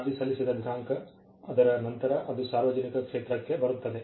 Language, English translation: Kannada, Date of application, after which it falls into the public domain